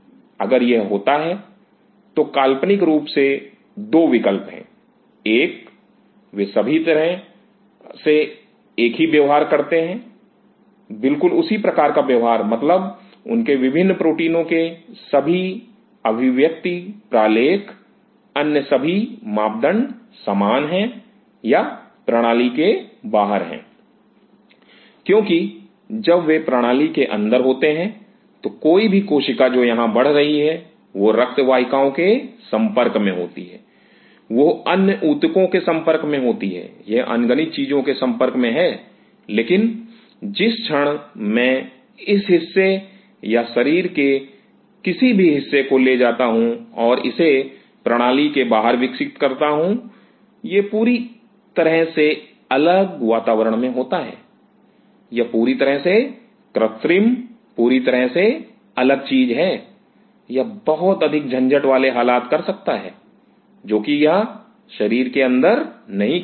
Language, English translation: Hindi, If it is; so, there are 2 options hypothetically one, they all behave exactly the same behave the same way means all their expression profile of different proteins all other parameters are same or being outside the system because when they are inside the system, any cell which is growing here, it is exposed to blood vessels, it is exposed to other tissue, it is exposed to n number of things, but the very moment I take this part or any part of the body and growing it outside the system, it is in a totally different environment, it is in totally synthetic totally different thing it may do many blizzard things which inside the body it cannot do